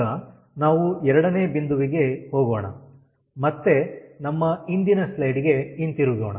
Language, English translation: Kannada, now we go to point two, ah, again, let us go back to our previous slide